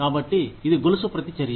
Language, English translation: Telugu, So, it is a chain reaction